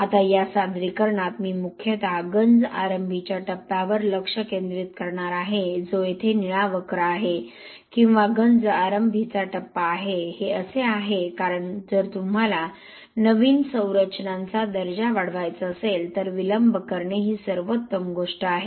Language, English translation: Marathi, Now this presentation I am going to focus mostly on the corrosion initiation phase which is the blue curve here which will see, blue region or the corrosion initiation phase because when you talk about new structures if you want to enhance the quality this is the best thing to do is, delay the onset of corrosion